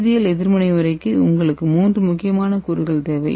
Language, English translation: Tamil, For chemical reaction method you need three important components